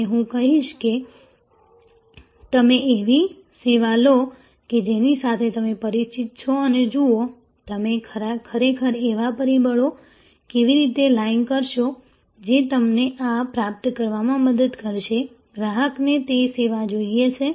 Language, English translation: Gujarati, And I will say you take up a service with which you are familiar and see, how you will actually line up the factors that will help you to achieve this what, the customer’s one want that service